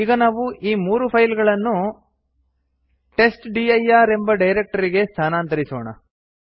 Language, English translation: Kannada, Now we want to move this three files to a directory called testdir